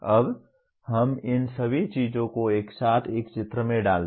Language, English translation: Hindi, Now let us put down all these things together into a kind of a diagram